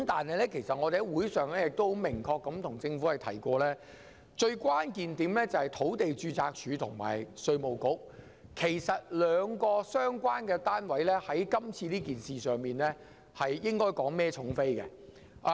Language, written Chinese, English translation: Cantonese, 我們在會議上已明確向政府提出，關鍵在於土地註冊處及稅務局，這兩個相關單位在這件事上承擔較大責任。, We have clearly explained to the Government at the meetings that the crux of the problem lies in the Land Registry and the Inland Revenue Department IRD . The two departments concerned should take greater responsibility for this issue